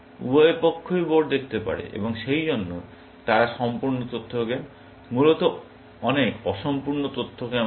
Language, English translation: Bengali, Both sides can see the board, and therefore, they are complete information games, essentially, but there are many incomplete information games